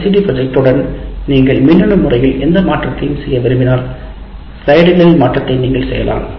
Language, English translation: Tamil, Now LCD projector, if you want to make any change electronically you can make the change in the slides that you make